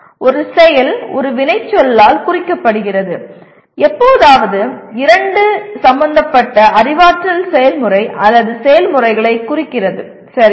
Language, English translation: Tamil, An action is indicated by an action verb, occasionally two, representing the concerned cognitive process or processes, okay